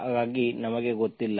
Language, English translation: Kannada, So we do not know